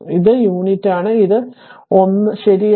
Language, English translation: Malayalam, And this is unit this is also 1 right